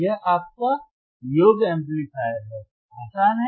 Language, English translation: Hindi, This is your summing amplifier, easy